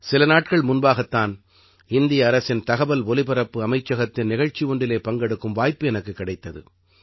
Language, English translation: Tamil, Just a few days ago, I got an opportunity to attend a program of Ministry of Information and Broadcasting, Government of India